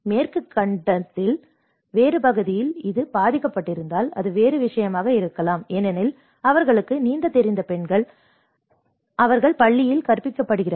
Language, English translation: Tamil, It may be a different case if it has affected in a different part of the Western continent because the women they know how to swim; they are taught in the school